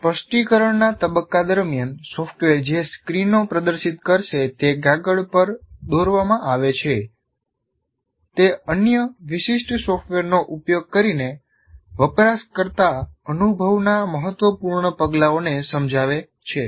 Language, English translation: Gujarati, During the specifications, screens that the software will display are drawn, either on paper or using other specialized software to illustrate the important steps of the user experience